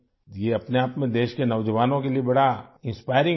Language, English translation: Urdu, This in itself is a great inspiration for the youth of the country